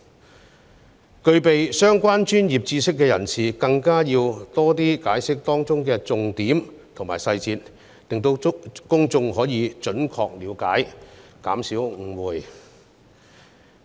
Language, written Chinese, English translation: Cantonese, 至於具備相關專業知識的人士，更應要多加解釋當中的重點及細節，令公眾可以準確理解條文內容，以減少誤會。, As for those with relevant professional knowledge they should explain in greater length the key points and details of the National Security Law so that the public can have an accurate understanding of the provisions . This way misunderstanding will be minimized